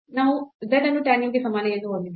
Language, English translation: Kannada, So, we have z is equal to tan u